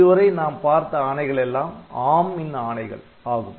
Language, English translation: Tamil, about so, they are all ARM instructions